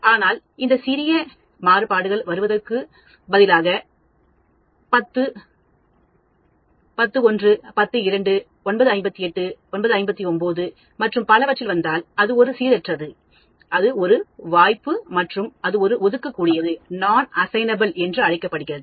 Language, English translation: Tamil, But that small variations instead of coming at 10:00 if I come at 10:01, 10:02, 9:58, 9:59 and so on, that is a random, that is a chance and that is called Non assignable